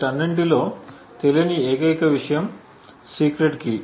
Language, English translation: Telugu, The only thing that is unknown in all of this is the secret key